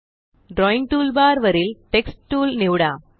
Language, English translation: Marathi, From the Drawing toolbar, select the Text Tool